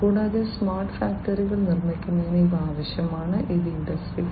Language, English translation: Malayalam, And, these are required for making smart factories which in turn will help achieve in building Industry 4